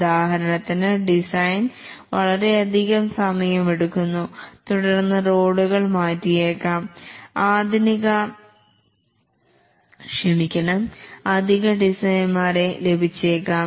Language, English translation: Malayalam, For example, that the design is taking long time, then might change the roles, might get additional designers, and so on